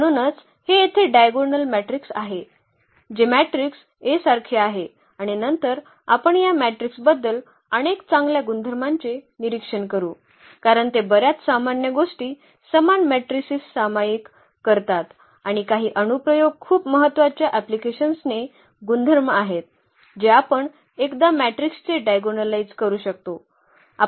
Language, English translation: Marathi, So, that is the diagonal matrix here which is similar to the matrix A and later on we will observe several good properties about this matrix because they share many common properties these similar matrices and some of the applications very important applications one we can once we can diagonalize the matrix we can we can use them in many applications